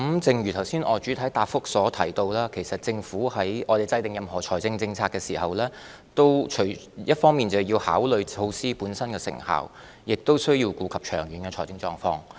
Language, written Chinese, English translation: Cantonese, 正如我剛才在主體答覆中提到，其實政府在制訂任何財政政策時，一方面須考慮措施本身的成效，亦須顧及長遠的財政狀況。, As I mentioned earlier in the main reply in fact when the Government formulates any financial policy it has to consider not only the effectiveness of the measure itself but also the long - term fiscal conditions